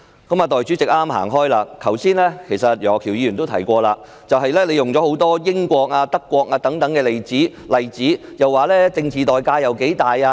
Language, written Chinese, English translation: Cantonese, 代理主席剛剛離席，其實楊岳橋議員剛才也提到她舉出很多例子，如英國和德國等，提到政治代價有多大。, The Deputy President has just left . Indeed as mentioned by Mr Alvin YEUNG just now she has cited many examples such as the United Kingdom and Germany saying how big the political price would be